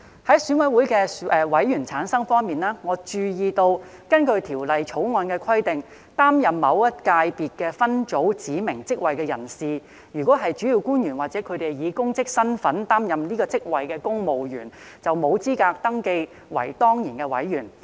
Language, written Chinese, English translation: Cantonese, 在選委會的委員產生方面，我注意到，根據《條例草案》的規定，擔任某一界別分組指明職位的人士，如果是主要官員或以公職身份擔任該職位的公務員，便沒有資格登記為當然委員。, Regarding the constitution of EC I note that under the Bill a person holding a specified office in a subsector is not eligible to be registered as an ex - officio member if he is a principal official or a civil servant holding that office in his official capacity